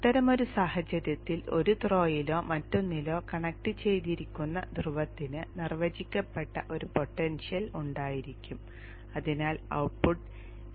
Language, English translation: Malayalam, In such a case the pole whether it is connected to one throw or the other will have a defined potential and therefore the output V0